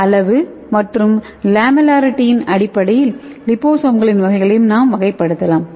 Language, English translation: Tamil, And the types of liposomes can be classified based on the size as well as lamellarity okay